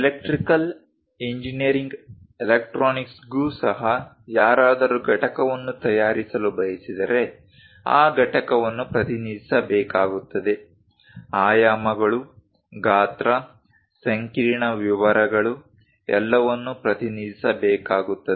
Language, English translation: Kannada, Even for electrical engineering electronics, if someone would like to manufacture a component that component has to be represented clearly, the dimensions, the size, what are the intricate details, everything has to be represented